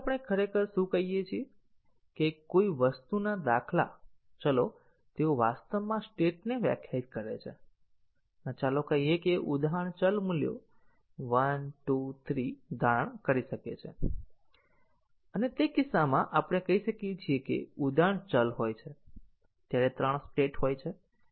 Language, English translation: Gujarati, So, what we really mean that the instance variables of an object they actually define the states and let us say, an instance variable can assume values 1, 2, 3 and in that case we might say that there are three states when the instance variable value is 1 or 2 or 3